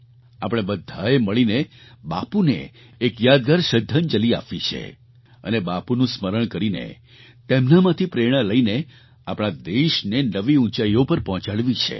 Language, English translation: Gujarati, We all have to pay a memorable tribute to Bapu and have to take the country to newer heights by drawing inspiration from Bapu